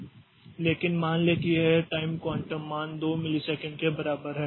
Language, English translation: Hindi, But suppose this time quantum value is equal to say 2 milliseconds